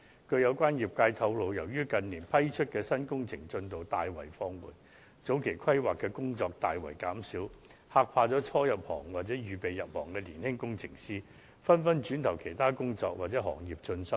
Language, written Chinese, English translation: Cantonese, 據相關業界透露，由於近年批出的新工程進度大為放緩，前期規劃的工作大為減少，嚇怕了初入行或打算入行的年輕工程師，他們紛紛轉投其他工作或是其他行業進修。, According to members of the relevant sector the amount of advance work has reduced drastically due to the slowdown in the progress of the new project works approved in recent years . This has scared off the new blood or those young engineers aspiring to enter the field who then turned to take up other jobs or simply switched to other industries and pursued further studies